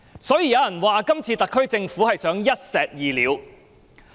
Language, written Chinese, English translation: Cantonese, 所以，有人說今次特區政府想一石二鳥。, Thus some people say that the SAR Government is trying to kill two birds with one stone